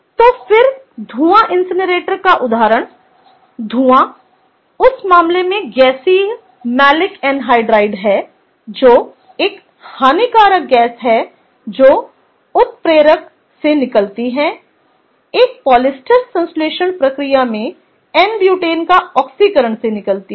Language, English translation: Hindi, the fume, in that case the gaseous phase, was malic anhydride, which is a harmful gas, comes out of catalytic oxidation of n butane in a polyester synthesis process